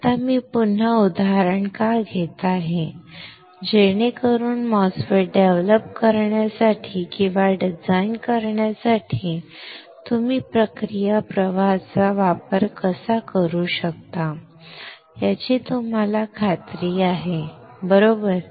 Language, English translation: Marathi, Now then why I am taking the example again, so that you are confident of how you can use the process flow for developing or for designing the MOSFET, right